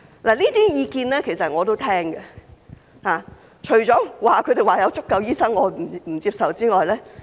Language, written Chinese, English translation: Cantonese, 其實，這些意見我都會聽取，除了他們說有足夠醫生這一點我不接受之外。, In fact I am willing to take their views into account but their claim that there are enough doctors in Hong Kong is unacceptable